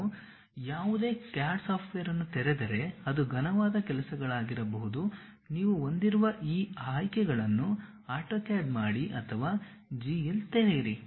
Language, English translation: Kannada, If you open any CAD software may be solid works, AutoCAD these options you will be have or Open GL